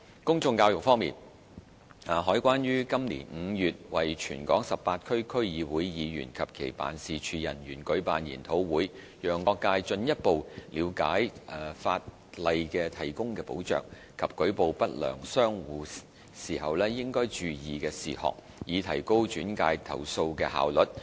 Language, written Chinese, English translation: Cantonese, 公眾教育方面，海關於今年5月為全港18區區議會議員及其辦事處人員舉辦研討會，讓各界進一步了解法例提供的保障及舉報不良商戶時應注意的事項，以提高轉介投訴的效率。, On public education CED held a seminar for the members of all 18 District Councils and their staff in May this year to improve their understanding of the protection conferred by the law as well as the points to note when reporting unscrupulous traders so that complaint referrals can be made more efficiently